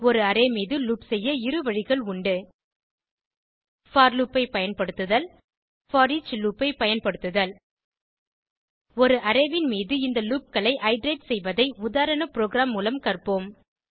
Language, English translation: Tamil, There are two ways of looping over an array Using for loop Using foreach loop Lets learn how to use these loops to iterate over an array using a sample program